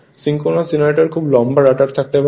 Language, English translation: Bengali, Synchronous generator may have a very long rotor right